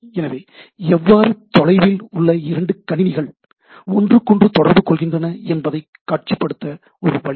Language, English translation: Tamil, So, a way to visualize, how two remote computers talk to each other, right